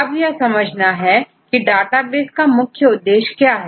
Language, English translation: Hindi, So, what is the main aim of a database